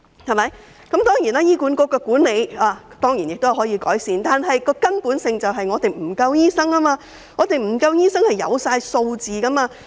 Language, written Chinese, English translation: Cantonese, 醫院管理局的管理當然可以改善，但根本的問題是醫生人手不足，這是有數據證明的。, Of course the management of the Hospital Authority HA can be improved but the fundamental problem is the shortage of doctors which can be proved by the available figures